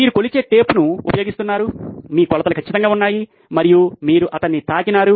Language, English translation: Telugu, You do use the measuring tape, your measurements are perfect and you have touched him